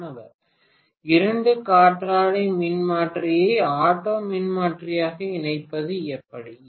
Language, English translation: Tamil, How to connect two wind transformer as an auto transformer